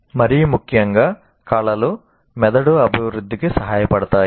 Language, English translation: Telugu, And more importantly, arts can help develop the brain